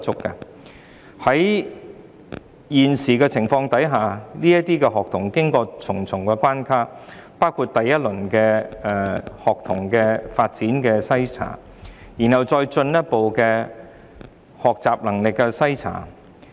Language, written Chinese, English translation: Cantonese, 在目前的情況下，這些學童要經過重重關卡，包括學童發展篩查，然後是學習能力篩查。, Under the current circumstances these students are required to pass numerous hurdles including tests on student development and then subsequently tests on learning abilities